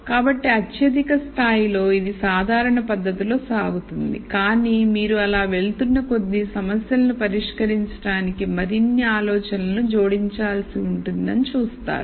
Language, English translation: Telugu, So, at the highest level it proceeds in a rather general fashion, but you will see you will have to add more and more ideas into solving these problems as we go along